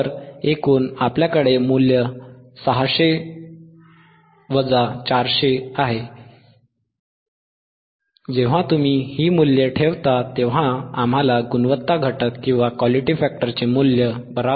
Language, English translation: Marathi, So, total is, we have the value 600, 400; when you substitute, we get the value of Quality factor Q equals to minus 3